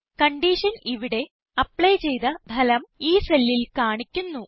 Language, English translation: Malayalam, The conditions result will be applied and displayed in this cell